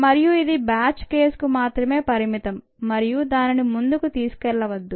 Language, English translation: Telugu, that is rather limited to the batch case and don't take it forward